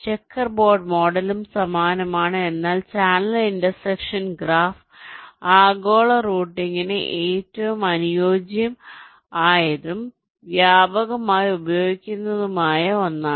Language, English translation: Malayalam, checker board model is also similar, but channel intersection graph is something which is the most suitable for global routing and is most wide used